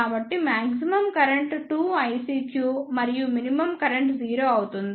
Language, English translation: Telugu, So, the maximum current will be 2 I CQ and the minimum current will be 0